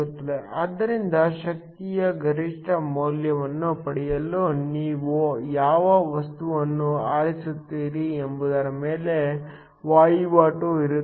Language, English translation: Kannada, So, there is a trade off on what material you choose in order to get the maximum value of the power